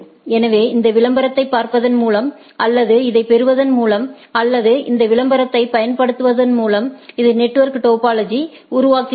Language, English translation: Tamil, So, by looking at this advertisement or receiving this or using this advertisement, it makes the network topology